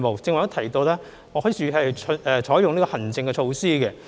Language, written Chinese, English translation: Cantonese, 如剛才所及，特區政府會採用行政措施。, As I have mentioned just now the HKSAR Government will adopt administrative measures in this respect